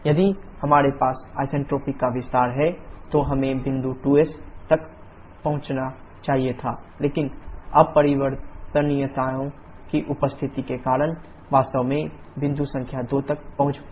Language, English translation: Hindi, If we have isentropic expansion, then we should have reached point 2s but because of the presence of the irreversibilities actually reached point number 2